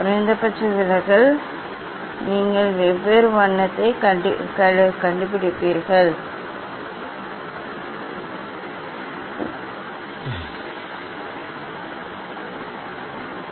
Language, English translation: Tamil, minimum deviation you will find out for different colour; you have to find out